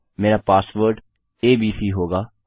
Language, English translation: Hindi, My password will be abc